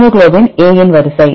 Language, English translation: Tamil, The sequence of hemoglobin A